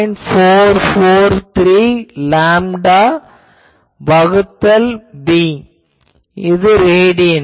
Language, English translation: Tamil, 43 lambda by b in radian